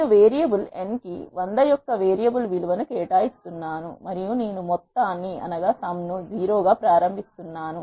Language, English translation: Telugu, So, let us see how to do this I am assigning a variable value of 100 to the variable n and I am initializing the sum as 0